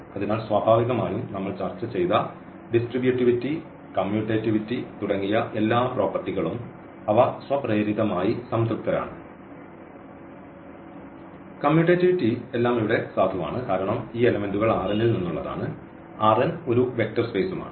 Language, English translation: Malayalam, So, naturally all the properties which we discussed, they are satisfied automatically about this distributivity, commutativity all are valid here because these elements actually belong to R n; R n is a vector space